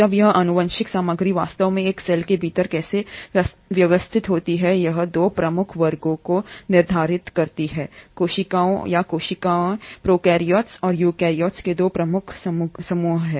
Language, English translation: Hindi, Now how this genetic material is actually organised within a cell determines 2 major classes of cells or 2 major groups of cells, prokaryotes and eukaryotes